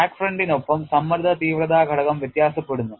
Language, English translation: Malayalam, Along the crack front, the stress intensity factor varies